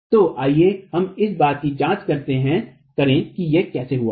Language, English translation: Hindi, So let's just examine how that is arrived at